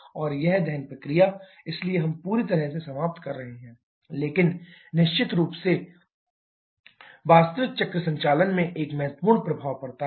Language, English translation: Hindi, And this combustion process, therefore, we are completely eliminating but that definitely has a significant impact in the actual cycle operation